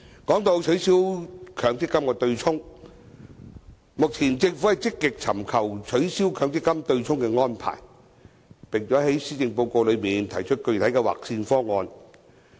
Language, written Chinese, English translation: Cantonese, 談到取消強積金對沖，目前政府積極尋求取消強積金對沖的安排，並在施政報告內提出具體的"劃線"方案。, Regarding the abolition of the MPF offsetting mechanism the Government is vigorously looking for ways to take the initiative forward including proposing a specific cut - off line option in the Policy Address